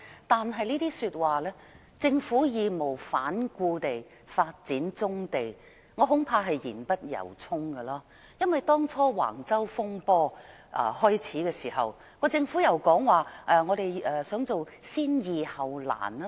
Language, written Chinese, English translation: Cantonese, 但是，我恐怕"政府會義無反顧地發展棕地"這句話是言不由衷，因為當橫洲風波開始時，政府說想採用先易後難的做法。, However I am afraid that the statement the Government is committed to developing brownfield sites is not sincerely said . In the early days of the controversy over Wang Chau the Government said that it would work on the easier tasks first and the more difficult ones later